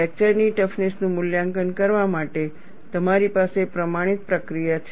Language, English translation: Gujarati, You have a standardized procedure for evaluating the fracture toughness